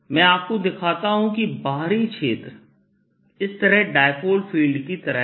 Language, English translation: Hindi, i show you that the outside field is like the dipolar field, like this